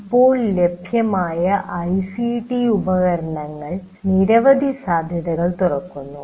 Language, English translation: Malayalam, And now ICT tools that are now available, they open up many possibilities